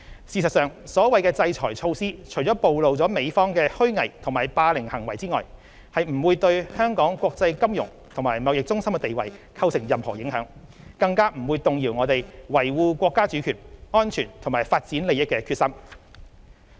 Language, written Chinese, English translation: Cantonese, 事實上，所謂的制裁措施除了暴露美方的虛偽和霸凌行為外，不會對香港國際金融和貿易中心的地位構成任何影響，更加不會動搖我們維護國家主權、安全及發展利益的決心。, In fact other than exposing the hypocrisy and bully of the US the so - called sanctions will not in any way affect the status of Hong Kong being an international financial and trade centre; nor will it undermine our determination to defend the sovereignty security and development interest of our country